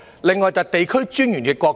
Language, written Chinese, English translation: Cantonese, 另外，便是地區專員的角色。, A further point is about the role of District Officers